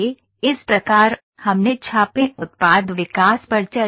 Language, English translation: Hindi, So, this is what we have discussed in raid product development